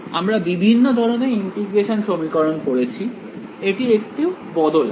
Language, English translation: Bengali, We have studied different types of integral equations, this is a slight variation